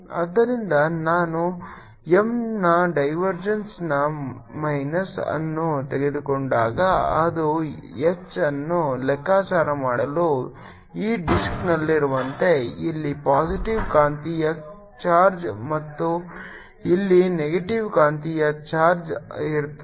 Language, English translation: Kannada, therefore, when i take minus of divergence of m, it is as if on this disk for calculation of h there is a positive magnetic charge here, negative magnetic charge here and kind of field is give rise to, would be like the electric field